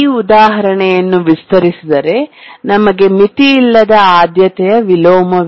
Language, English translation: Kannada, If we extend this example, we come to the example of an unbounded priority inversion